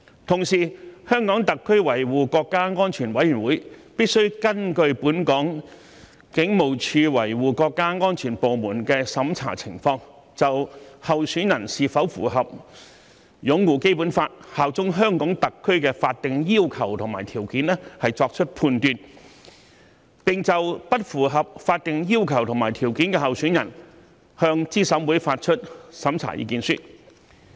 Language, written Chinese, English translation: Cantonese, 同時，香港特別行政區維護國家安全委員會必須根據香港警務處國家安全處的審查情況，就候選人是否符合"擁護《基本法》、效忠香港特區"的法定要求和條件作出判斷，並就不符合法定要求和條件的候選人向資審會發出審查意見書。, At the same time the Committee for Safeguarding National Security of HKSAR shall on the basis of the review by the department for safeguarding national security of the Police Force of HKSAR make findings as to whether a candidate meets the legal requirements and conditions of upholding the Basic Law and bearing allegiance to HKSAR and issue an opinion to CERC in respect of a candidate who fails to meet such legal requirements and conditions